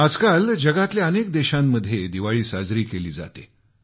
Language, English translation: Marathi, These days Diwali is celebrated across many countries